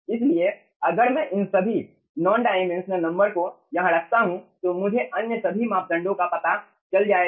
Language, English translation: Hindi, so if i put all these non dimensional numbers over here, so all other parameters will be known